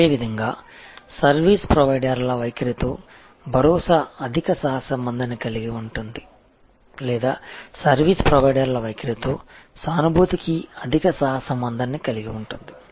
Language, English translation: Telugu, Similarly, assurance has a high correlation with the service providers attitude or empathy has a high correlation with service providers attitude